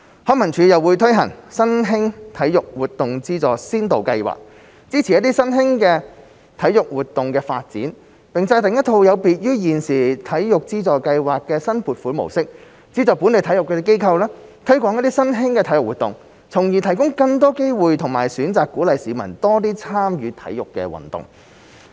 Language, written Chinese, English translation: Cantonese, 康文署又會推行新興體育活動資助先導計劃，支持新興體育活動的發展，並制訂一套有別於現時體育資助計劃的新撥款模式，資助本地體育機構，推廣新興體育活動，從而提供更多機會和選擇，鼓勵市民多參與體育運動。, LCSD will also launch the Pilot Scheme on Subvention for New Sports to support the development of new sports . There will be a new funding mechanism apart from the existing Sports Subvention Scheme to subsidize local sports organizations in the development of new sports thereby providing the public with more opportunities and choices and encouraging them to take part in different sports activities